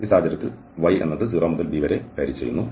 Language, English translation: Malayalam, The y varies from this 0 to b in this case